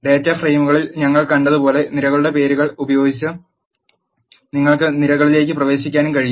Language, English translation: Malayalam, You can also access the columns using the names of the column as we have seen in the data frames